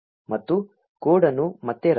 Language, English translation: Kannada, And run the code again